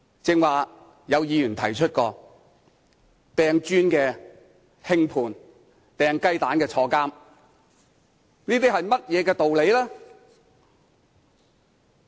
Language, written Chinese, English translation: Cantonese, 剛才有議員提到，擲磚的人獲輕判，擲雞蛋的人入獄，這些是甚麼道理呢？, As Members said earlier people who hurled bricks were given a lenient sentence but those who threw eggs were sent to jail . What kind of logic is this?